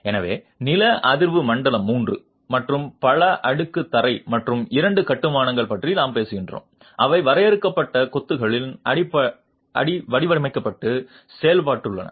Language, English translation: Tamil, So, we are talking of seismic zone 3 and multi storied ground plus 2 constructions which have been designed and executed in confined masonry